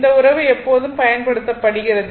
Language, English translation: Tamil, This relationship is always used